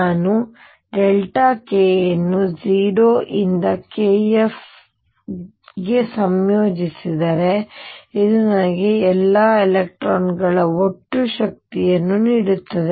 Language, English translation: Kannada, And if I integrate delta k being d k from 0 to k f this gives me total energy e of all these electrons